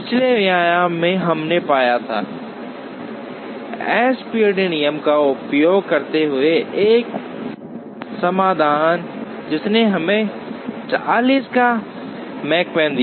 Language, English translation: Hindi, In the previous lecture, we had found a solution using the SPT rule, which gave us a Makespan of 40